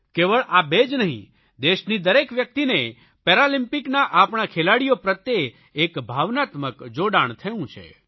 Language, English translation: Gujarati, Not only the two of you but each one of our countrymen has felt an emotional attachment with our athletes who participated at the Paralympics